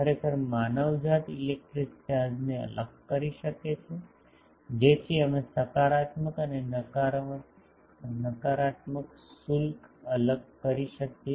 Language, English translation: Gujarati, Actually mankind could separate the electric charges so we can separate the positive and negative charges